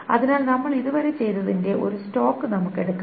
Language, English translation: Malayalam, So let us take a stock of what we have done so far